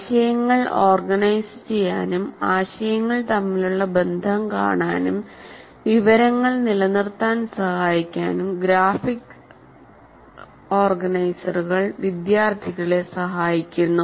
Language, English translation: Malayalam, And graphic organizers help students organize ideas, see relationships between ideas, and facilitate retention of information